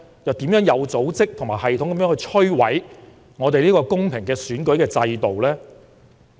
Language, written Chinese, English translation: Cantonese, 又有甚麼有組織、有系統地摧毀香港公平選舉制度的情況？, What has happened that destroyed our fair election system in an organized and systematic manner?